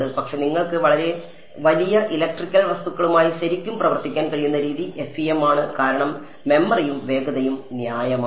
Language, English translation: Malayalam, But, the way you are able to really work with very large electrical objects is FEM because memory and speed are reasonable